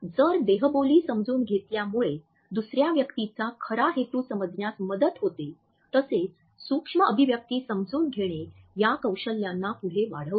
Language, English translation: Marathi, If understanding body language helps us to understand the true intent of the other person; micro expressions and their understanding further hones these skills